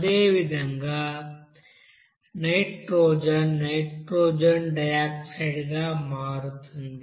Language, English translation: Telugu, And all the nitrogen similarly, will forms nitrogen dioxide